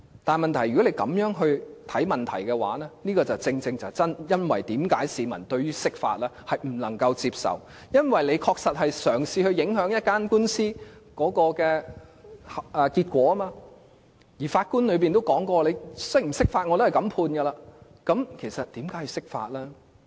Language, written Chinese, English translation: Cantonese, 但是，問題是，如果政府這樣看待問題，便正正是為何市民不能接受釋法，因為政府確實嘗試影響一宗官司的結果，而法官亦提到無論釋法與否，他也會這樣判決，那麼為何要釋法呢？, However the problem is exactly why the public cannot accept the interpretation if the Government treats the matter like that as it has indeed tried to influence the outcome of a lawsuit in which the judge has also said that he would rule in that way with or without the interpretation . Why then should there be the interpretation?